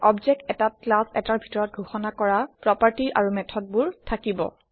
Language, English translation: Assamese, An object will have the properties and methods defined in the class